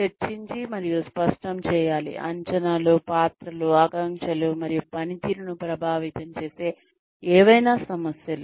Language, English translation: Telugu, To discuss and clarify, expectations, roles, aspirations, and any issues affecting performance